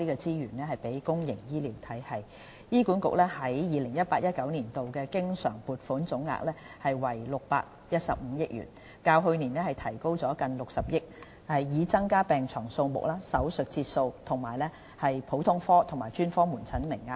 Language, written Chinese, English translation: Cantonese, 醫院管理局在 2018-2019 年度的經常撥款總額為615億元，較對上一個財政年度提高近60億元，從而增加病床數目、手術室節數、普通科和專科門診名額等。, A total recurrent funding of 61.5 billion is allocated to the Hospital Authority HA in 2018 - 2019―up by nearly 6 billion from the previous financial year―to increase among others the number of hospital beds and operating theatre sessions as well as the quotas for general outpatient and specialist outpatient consultation